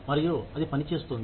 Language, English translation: Telugu, And, that is working